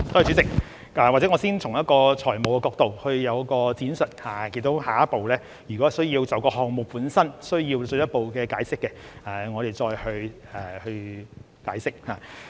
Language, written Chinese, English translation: Cantonese, 主席，或者我先從財務角度闡述，下一步如果需要就項目本身作進一步解釋，我們才再去解釋。, President perhaps let me first explain it from the financial angle and we will provide further elaborations if more explaining is needed for the project per se